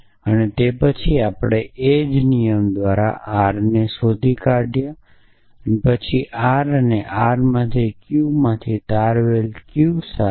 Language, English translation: Gujarati, And then we derived R by the same rule then from R and R and Q with a derived Q